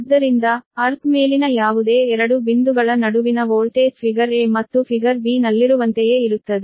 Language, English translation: Kannada, right, therefore, the voltage between any two points above the earth is the same as in figure a and figure b, right